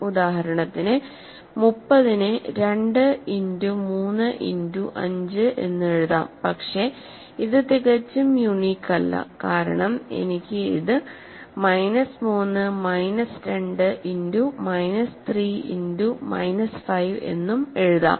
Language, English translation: Malayalam, For example, 30 can be written as 2 times 3 times 5, but it is not quite unique because I can also write it as minus 3 minus 2 times minus 3 times 5